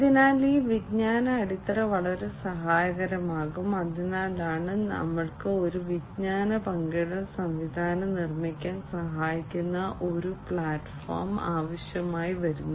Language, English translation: Malayalam, So, this knowledge base will be very helpful, so that is why we need some kind of a platform that can help build a knowledge sharing mechanism